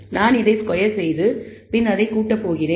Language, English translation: Tamil, I am squaring the term, and I am summing it